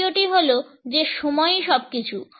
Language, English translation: Bengali, The second is that timing is everything